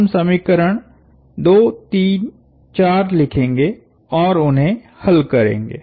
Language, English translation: Hindi, We are going to write down equations 2, 3, 4 and solve them